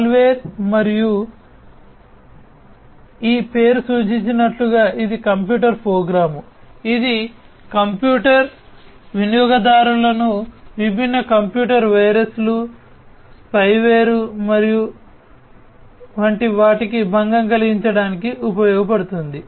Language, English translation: Telugu, Malware, and as this name suggests it is a computer program which is used to disturb the computer user such as different computer viruses, spyware and so on